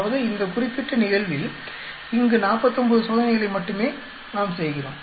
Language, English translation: Tamil, We are only doing 49 experiments